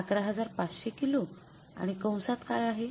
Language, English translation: Marathi, 11,500 kgs and what is the inside the bracket